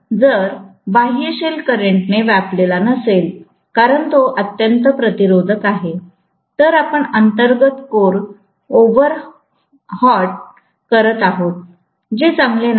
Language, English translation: Marathi, So, if the outer shell is not occupied by the current, because it is highly resistive, then you are overheating the inner core, which is not good, right